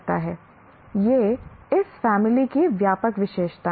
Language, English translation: Hindi, These are the broad characteristics of this family